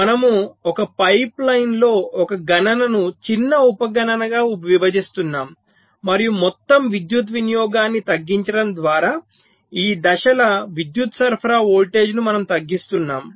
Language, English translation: Telugu, so we are splitting a computation into smaller sub computation in a pipe line and we are reducing the power supply voltage of these stages their by reducing the overall power consumption